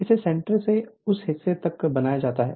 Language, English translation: Hindi, It is made at made from centre to this to that part right